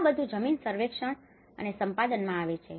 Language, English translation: Gujarati, So, all this comes in the land survey and acquisition